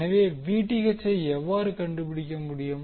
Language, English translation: Tamil, So, how will you able to find out the Vth